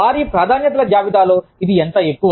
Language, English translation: Telugu, How high up is it, in their list of priorities